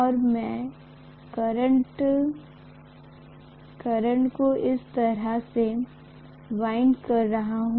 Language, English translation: Hindi, And I am going to probably wind the conductor like this